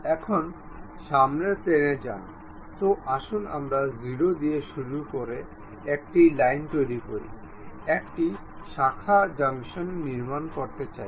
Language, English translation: Bengali, Now, go to front plane, let us construct a line beginning with 0, a branching junction we would like to construct